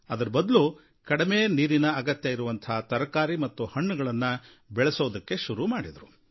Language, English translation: Kannada, Instead of sugarcane, they have taken to such crops like fruits and vegetables that require much less water